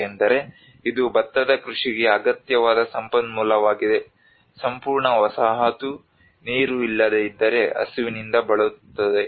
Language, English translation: Kannada, Because it is a resource essential to the cultivation of rice, without an entire settlement could be starved